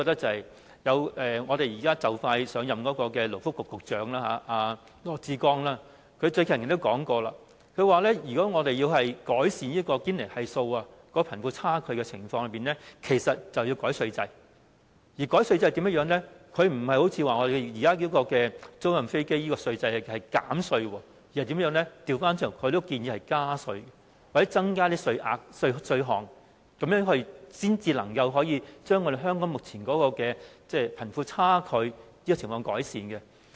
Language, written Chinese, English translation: Cantonese, 即將上任的勞工及福利局局長羅致光近日也提到，如果我們想改善堅尼系數和貧富差距情況，其實便應該修改稅制，而對於修改稅制的方法，他並非提議像現時我們對租賃飛機的稅制所做般的減稅，而是倒過來建議加稅，或者增加稅率和稅項，從而把香港目前的貧富差距情況改善。, I think The incoming Secretary for Labour and Welfare LAW Chi - kwong has recently remarked that if we want to rectify the Gini Coefficient and wealth gap we should amend the tax regime . As for amending the tax regime he does not propose a tax concession like what we are doing to the aircraft leasing industry this time around . Quite the contrary he proposes tax hikes or increases in tax rates and tax payments so as to narrow the current wealth gap